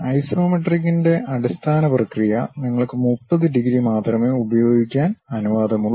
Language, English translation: Malayalam, But the standard process of isometric is, you are permitted to use only 30 degrees